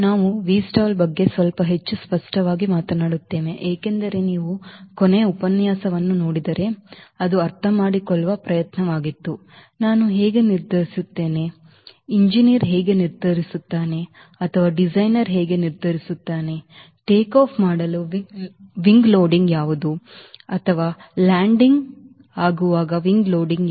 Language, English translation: Kannada, we will be talking about v stall little more explicitly because, if you see the last lecture, it was an attempt to understand how do i decide how a, how an engineer we will decide, or a designer will decide what should be the wing loading for takeoff or wing loading for landing